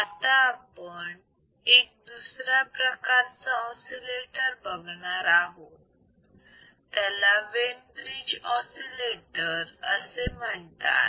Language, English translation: Marathi, So, let us see that kind of oscillator that is called Wein bridge oscillator